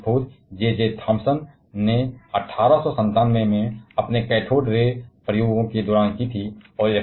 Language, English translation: Hindi, Electron was discovered by J J Thompson in 1897 during his cathode ray experiments